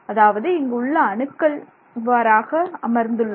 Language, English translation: Tamil, So, you already have atoms here, you have atoms sitting here